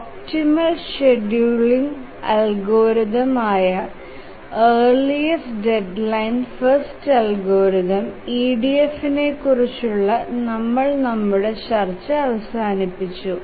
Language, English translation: Malayalam, Now we have concluded our discussion on EDF, the earliest deadline first algorithm, that is the optimal scheduling algorithm